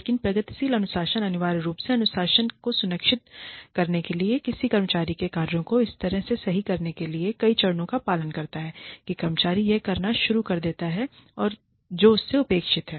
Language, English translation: Hindi, But, progressive discipline essentially refers to, you following a series of steps, to ensure discipline, or to correct the actions of an employee, in such a way, that the employee starts doing, whatever is expected of her or him